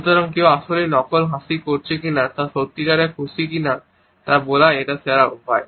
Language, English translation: Bengali, So, this is the best way to tell if someone is actually faking a smile or if they are genuinely happy